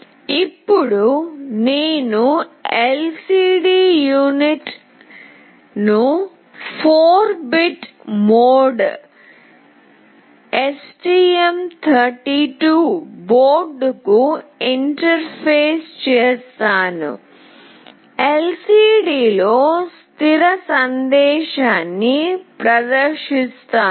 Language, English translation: Telugu, Now I will interface an LCD unit to the STM32 board in 4 bit mode, and display a fixed message on the LCD